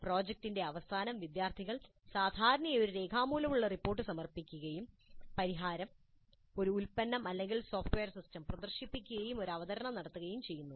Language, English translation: Malayalam, At the end of project students typically submit a written report, demonstrate the solution, a product or a software system, they demonstrate the solution and also make a presentation